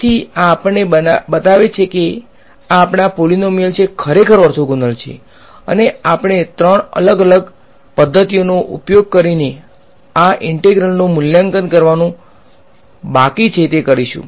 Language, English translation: Gujarati, So, this shows us that these our polynomials are indeed orthogonal and what remains for us to do is to evaluate this integral using let us say three different methods